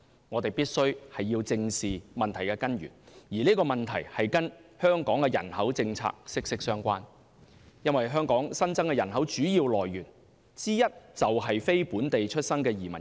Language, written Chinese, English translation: Cantonese, 我們必須正視問題根源，而這個問題與香港人口政策息息相關，因為香港新增人口的主要來源之一，就是非本地出生的移民。, We should face the root of the problem squarely . The problem is highly relevant to Hong Kongs population policies . It is because non - local born immigrants are one of the major sources of Hong Kongs population growth